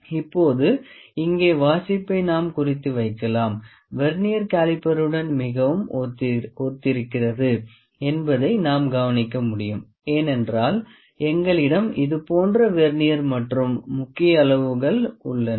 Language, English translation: Tamil, Now, we can note down the reading here reading is very similar to the Vernier caliper, because we have the similar kind of Vernier and the main scales here